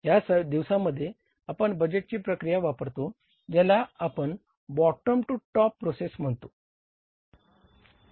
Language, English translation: Marathi, Largely in these days we follow the budgeting process which we call it as bottom to top